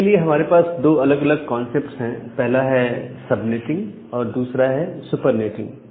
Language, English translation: Hindi, So, for that we have these two different concepts sub netting and super netting